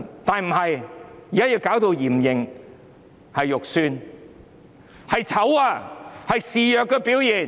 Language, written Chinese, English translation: Cantonese, 但現在要用嚴刑，難看又醜怪，是示弱的表現。, The introduction of heavy penalties is indeed awful and ugly as well as a show of weakness